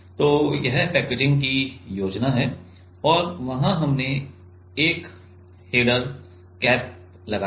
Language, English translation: Hindi, So, this is the schematic of the packaging and there we have put a header cap